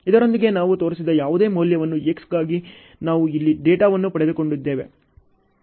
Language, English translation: Kannada, With this only we have got the data here like this for X whatever value I have shown